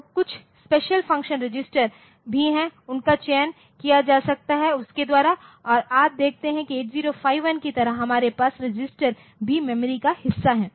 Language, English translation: Hindi, So, there are some special function register so, they can be selected by that and you see just like in 8051 we had the situation like the registers are also part of memory